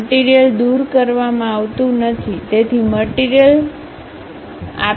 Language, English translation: Gujarati, Material is not removed; so, material is not removed